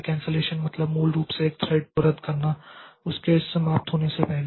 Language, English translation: Hindi, So, cancellation is basically terminating a thread before it has finished